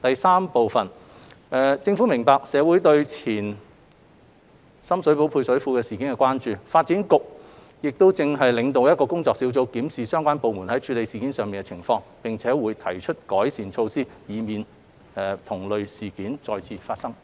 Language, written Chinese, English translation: Cantonese, 三政府明白社會對前深水埗配水庫事件的關注，發展局現正領導一個工作小組，檢視相關部門在處理有關事件上的情況，並會提出改善措施，以避免同類事件再次發生。, 3 The Government fully understands public concerns regarding the Ex - Sham Shui Po Service Reservoir incident . DEVB is leading a working group to review the handling of the case by relevant departments and to put forward improvement measures to avoid recurrence of similar incidents